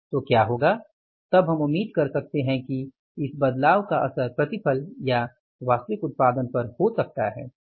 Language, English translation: Hindi, We can expect that there might be the effect of this change in the mix on the yield or on the actual output